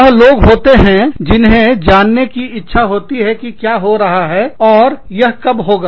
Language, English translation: Hindi, There are people, who want to know, what is happening, when it is happening